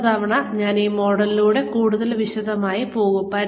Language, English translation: Malayalam, I will go through this model, in greater detail, the next time